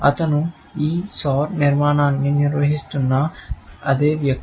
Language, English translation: Telugu, He is the same guy, who is maintaining this Soar architecture